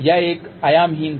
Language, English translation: Hindi, It was a dimensionless